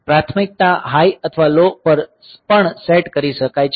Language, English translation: Gujarati, So, priority can also be set to high or low